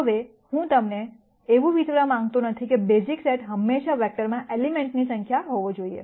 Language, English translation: Gujarati, Now, I do not want you to think that the basis set will always have to be the number of elements in the vector